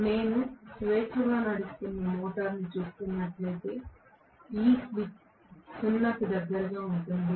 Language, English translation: Telugu, If I am looking at the motor running freely this slip will be close to 0